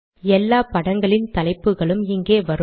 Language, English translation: Tamil, All the figure captions will appear here